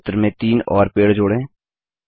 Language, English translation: Hindi, Lets add three more trees to this picture